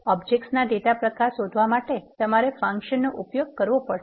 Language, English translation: Gujarati, To find the data type object you have to use type of function